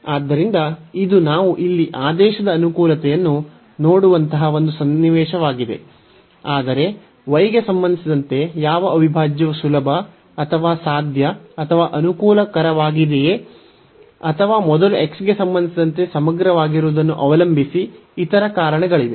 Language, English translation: Kannada, So, this is one a situation where we can see the convenience of the order here, but there will be other reasons depending on the integrand that which integral whether with respect to y is easier or possible or convenient or with respect to x first